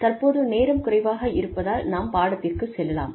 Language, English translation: Tamil, So, since the time has been reduced, let us move on